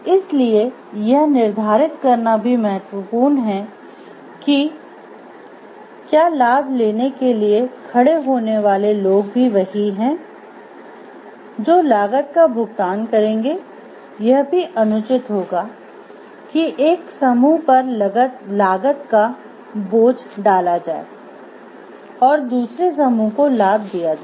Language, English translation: Hindi, So, it is important to determine whether those who stand up for the benefits are also those who will pay the cost, it is unfair to place all the cost on one group while other with the benefits